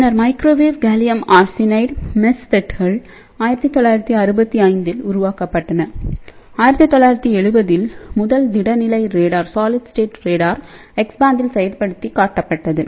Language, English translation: Tamil, And then later on microwave gallium arsenide MESFETs were developed in 1965 and in 1970, the first solid state radar was demonstrated at X band